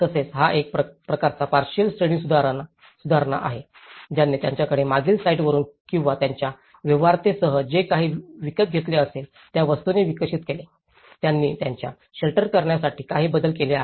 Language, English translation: Marathi, And also, this is a kind of partial upgrade with reclaimed materials they have the developed with the kind of whatever, they have able to procure from the past site or with their feasibilities, they have made some modifications to their shelters